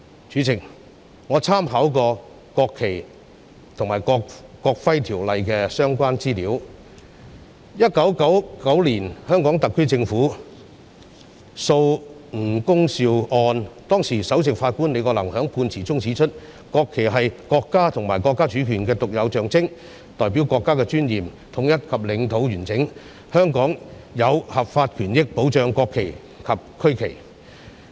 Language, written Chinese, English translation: Cantonese, 主席，我參考了《國旗及國徽條例》的相關資料，在1999年香港特區政府訴吳恭劭一案中，當時的首席法官李國能在判詞中指出，國旗是國家及國家主權的獨有象徵，代表國家的尊嚴、統一及領土完整，香港有合法權益保障國旗及區旗。, President I have drawn reference from information about NFNEO . In the case of HKSAR v Ng Kung Siu in 1999 the then Chief Justice Andrew LI pointed out in the judgment that the national flag is a unique symbol of the State and the sovereignty of the State . It represents the State with her dignity unity and territorial integrity